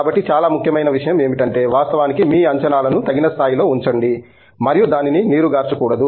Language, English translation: Telugu, So, that the most important thing is actually keep our expectations at the level that is appropriate and not necessarily water it down